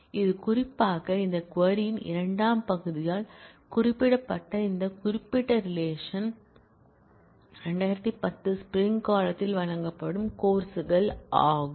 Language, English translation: Tamil, In this particular, this particular relation that is specified by the second part of this query which is courses offered in spring 2010